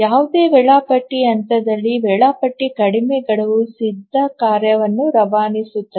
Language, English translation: Kannada, At any scheduling point, the scheduler dispatches the shortest deadline ready task